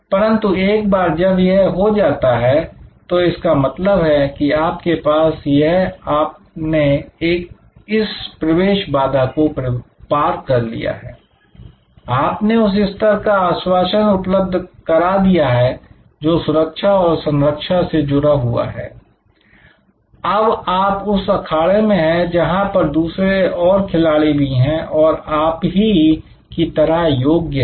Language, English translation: Hindi, But, once this is done that means you have this, you have cross this entry barrier, you have provided that level of assurance with respect to safety, security, you will be in the arena with number of other players who have also similarly qualified